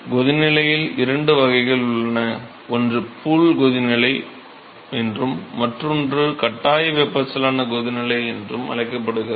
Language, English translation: Tamil, So, there are two classes of boiling, one is called the pool boiling and the other one is called the forced convection boiling